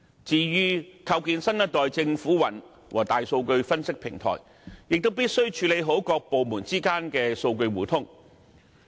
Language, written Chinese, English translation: Cantonese, 至於構建新一代政府雲和大數據分析平台，亦必須處理好各部門之間的數據互通。, As to the implementation of the Next Generation Government Cloud and a Big Data Analytics Platform proper data interoperability among departments must also be ensured